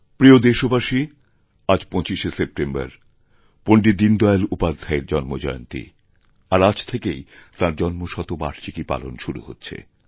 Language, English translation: Bengali, My dear countrymen, today is 25th September, the birth anniversary of Pandit Deen Dayal Upadhyay Ji and his birth centenary year commences from today